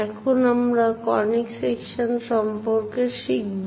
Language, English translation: Bengali, We are learning about Conic Sections